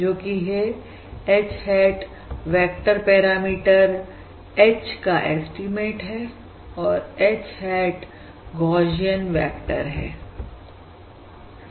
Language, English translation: Hindi, That is H hat is the estimate of the vector parameter H